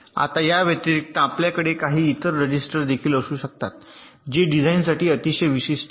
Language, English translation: Marathi, now, in addition, you can have some other registers which i have very special to ah design